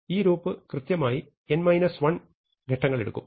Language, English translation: Malayalam, So, now, this loop takes exactly n minus 1 steps